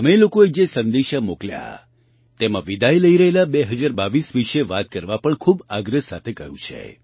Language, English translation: Gujarati, In the messages sent by you, you have also urged to speak about the departing 2022